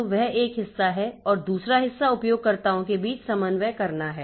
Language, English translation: Hindi, So, that is one part and the other part is to coordinate between the users